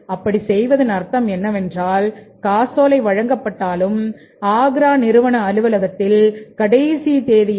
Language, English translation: Tamil, So, it means why they are doing so that the check will be issued and will be reaching in the Agra firm's office on the due date